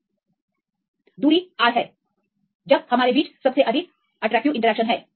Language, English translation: Hindi, So, in the particular distance R; this is the distance R where we have the highest attractive interactions